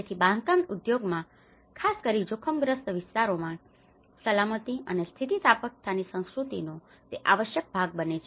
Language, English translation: Gujarati, So, it has to become an essential part of culture of safety and resilience in the construction industry, especially in the hazard prone areas